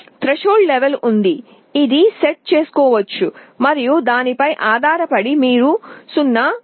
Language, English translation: Telugu, There is a threshold level, which can be set and depending on that you can get either a 0 or 1